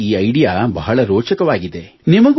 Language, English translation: Kannada, Their idea is very interesting